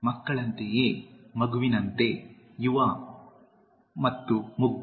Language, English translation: Kannada, Childlike, is like a child, young and innocent